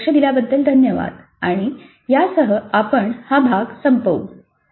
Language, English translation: Marathi, Thank you for your attention and with this we conclude this unit